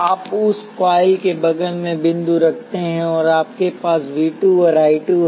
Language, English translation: Hindi, You place dots next to that coils, and you have V 2 and I 2